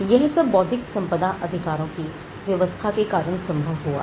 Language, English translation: Hindi, Now, this is possible because of the intellectual property right regime